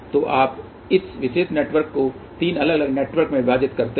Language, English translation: Hindi, So, you divide this particular network into 3 different networks